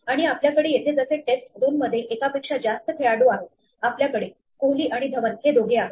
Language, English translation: Marathi, And we can have more than one player in test 2 like we have here; we have both Kohli and Dhawan this one